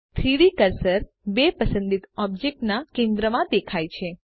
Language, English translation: Gujarati, The 3D cursor snaps to the centre of the two selected objects